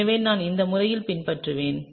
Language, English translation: Tamil, So, I will follow this methodology